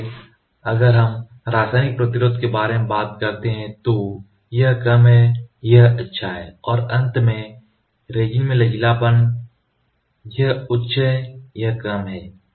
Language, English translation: Hindi, So, if we talked about chemical resistance it is fair; it is good and the last one is flexibility in resin it is high it is low